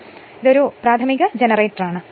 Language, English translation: Malayalam, So, this is a simple thing so, this is elementary generator